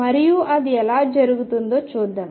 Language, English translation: Telugu, And let us see how it is done